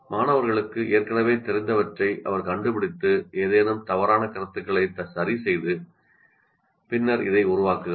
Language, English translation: Tamil, She finds out what students already know, corrects any misconceptions, and then builds onto this